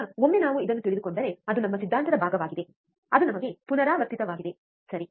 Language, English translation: Kannada, Now, once we know this which is our theory part which we have kind of repeated, right